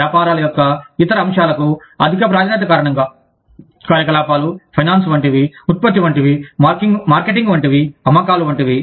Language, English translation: Telugu, Because of higher priority, to other aspects of businesses, like operations, like finance, like production, like marketing, like sales